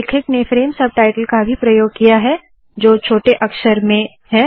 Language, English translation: Hindi, He has also used the frame subtitle that comes here in small letters